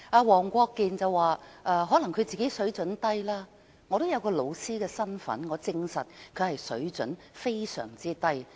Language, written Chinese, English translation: Cantonese, 黃國健議員說可能是他自己的水準低，我也有教師身份，我證實他的水準非常低。, Mr WONG Kwok - kin said it might be due to his low standard . In my capacity of a teacher I prove that he is indeed of a very low standard